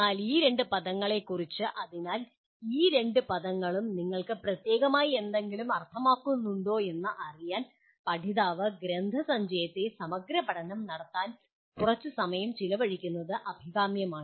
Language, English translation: Malayalam, But regarding thess two words it will be desirable if the learner spends some amount of time exploring the literature on that so that these two words mean something specific to you